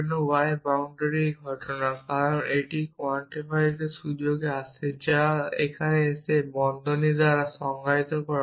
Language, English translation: Bengali, This occurrence of y bound, because it comes it in the scope of quantifies which is defined by the bracket around here